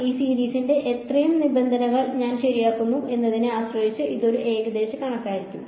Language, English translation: Malayalam, It will be an approximation depending on how many terms of this series I keep ok